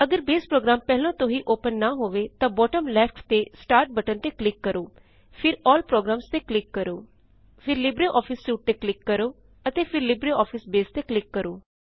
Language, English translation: Punjabi, If Base program is not opened, then we will click on the Start button at the bottom left,and then click on All programs, then click on LibreOffice Suite and then click on LibreOffice Base